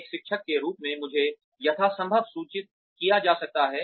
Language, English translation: Hindi, As a teacher, I can be as informed as possible